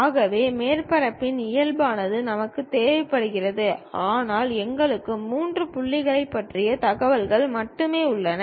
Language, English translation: Tamil, So, normals of the surface also we require, but we have only information about three points